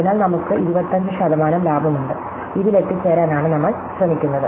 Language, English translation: Malayalam, So, we have 25 percent saving, so this is what we are trying to get at